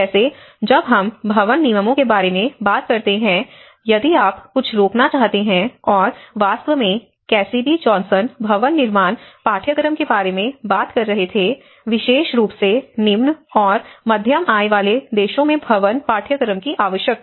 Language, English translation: Hindi, Like when we talk about the building regulations, if you are to prevent something and in fact, Cassidy Johnson was talking about the building course, the need for the building course especially in the low and middle income group countries